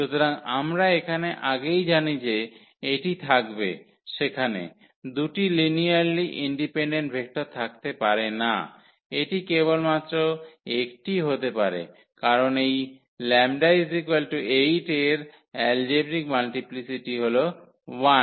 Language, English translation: Bengali, So, here we know though beforehand that this there will be there cannot be two linearly independent vectors, it has to be only one because the algebraic multiplicity of this lambda is equal to 8 is 1